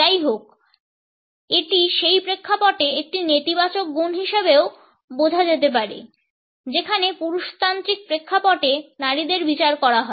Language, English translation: Bengali, However, it can also be understood as a negative quality in those context where women are being judged as mannish in patriarchal context